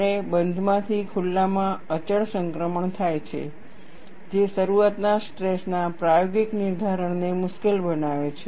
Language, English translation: Gujarati, And there is a continuous transition from closed to open, making experimental determination of the opening stress difficult